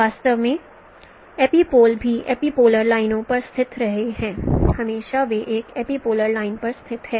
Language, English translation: Hindi, So you know that epipolar lines, all epipolar lines they intersect at epipoles